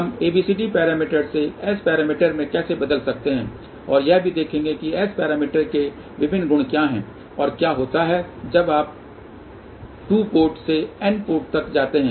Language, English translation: Hindi, And in the next lecture we will see that how ABCD parameters are related with S parameters, how we can convert from ABCD parameters to S parameters and also we will look at what are the different properties of S parameters, and what happens when you go from 2 port to n ports